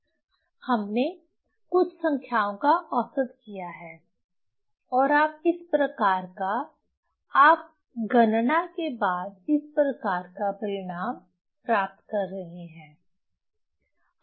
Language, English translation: Hindi, So, you have done some average of few numbers and you are getting this type of you are getting this type of result after calculation